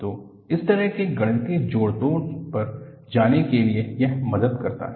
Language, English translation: Hindi, So, in order to, go to that kind of a mathematical manipulation, this helps